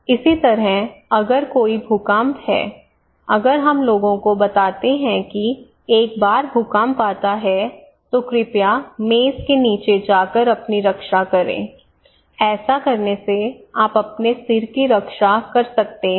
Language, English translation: Hindi, Similarly, if there is an earthquake if we tell people that once there is an earthquake, please protect yourself by going inside the furniture table, then you can protect your head